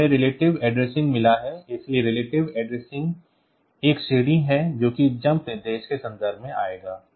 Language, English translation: Hindi, the relative addressing is one category of this comes in the context of jump instruction